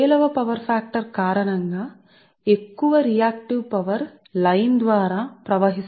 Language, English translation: Telugu, because, because, because of poor power factor, more, ah, your what you call reactive power has to flow through the line, right